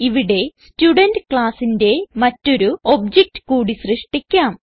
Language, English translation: Malayalam, Here, we will create one more object of the Student class